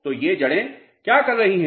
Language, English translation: Hindi, So, what these roots are doing